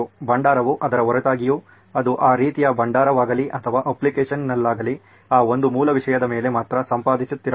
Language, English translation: Kannada, The repository irrespective of its, whether it is that kind of repository or on the app, it should, it will only be editing on that one basic content